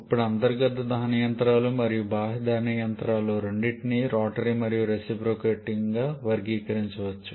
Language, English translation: Telugu, Now both internal combustion engines and external combustion engines can be classified into rotary and reciprocating